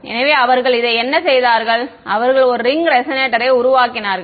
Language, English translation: Tamil, So, what have they done this they made a ring resonator ok